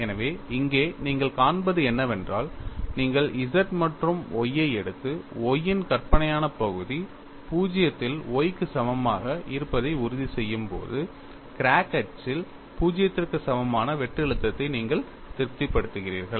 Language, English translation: Tamil, So, what you find here is, when you take Z as well as Y and ensure that imaginary part of Y is 0 on Y equal to 0, you satisfy shear stress tau xy 0 along the crack axis, at the same time, maximum shear stress varies along the crack axis